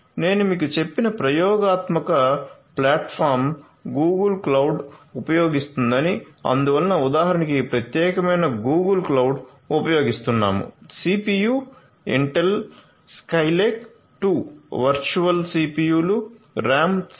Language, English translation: Telugu, The experimental platform as I told you will be using the Google cloud and so this particular Google cloud instance we are using so, with the CPU, Intel Skylake 2 virtual CPUs RAM 7